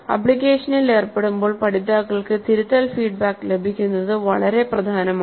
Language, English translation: Malayalam, Learning from an application is effective when learners receive corrective feedback